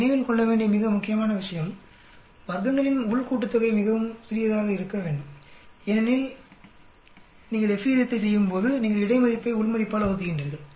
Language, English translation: Tamil, The most important point which we need to keep in mind is the within sum of squares should be quite small, so that when you do the F ratio, you are doing the between divided by within it should be sufficiently large then only your value will be much larger than the table value